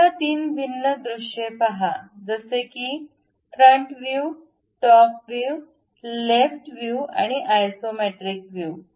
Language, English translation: Marathi, Now, look at 3 different views, something like the front view, the top view, the left side view and the isometric view